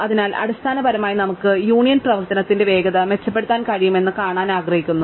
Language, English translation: Malayalam, So, basically we want to see if we can improve on the speed of the union operation